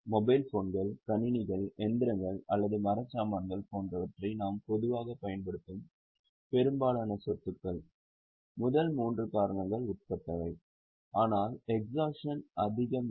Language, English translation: Tamil, Because most of the assets which we normally use like say mobile phones, computers, machinery or furniture, they are subject to first three reasons but not much to exhaustion